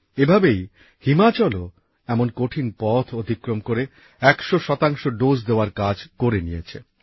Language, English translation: Bengali, Similarly, Himachal too has completed the task of centpercent doses amid such difficulties